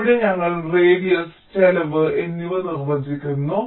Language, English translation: Malayalam, ok, so here we are defining radius and cost